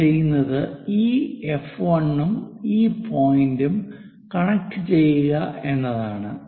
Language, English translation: Malayalam, What we do is connect this F 1 and this point similarly construct connect this F 2